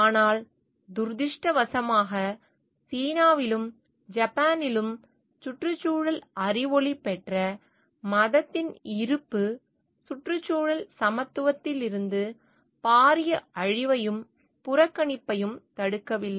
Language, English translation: Tamil, But unfortunately both in China and Japan the presence of environmentally enlightened religion does not seem to be prevented the massive destruction and disregard from environmental equality